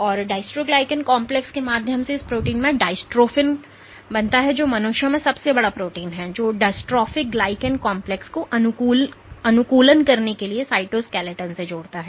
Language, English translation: Hindi, And through the dystroglycan complex, there is this protein called dystrophin which is the biggest protein in humans, which links the distroph glycan complex to the optimizing cytoskeleton